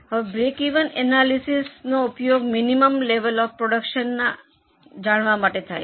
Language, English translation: Gujarati, Now, break even analysis is used to know the minimum level of production required